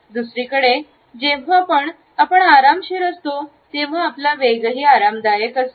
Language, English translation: Marathi, On the other hand, when we are relaxed our speed also becomes comfortable